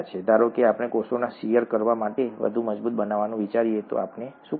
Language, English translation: Gujarati, Suppose we think of making the cells more robust to shear, what do we do